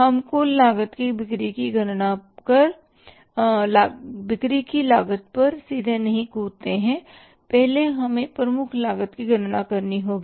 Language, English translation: Hindi, We don't jump to the directly to the cost of sales or the total cost